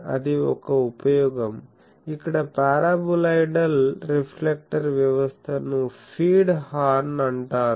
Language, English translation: Telugu, So, that is also another use; that means, in that the paraboloidal reflector system it is called a feed horn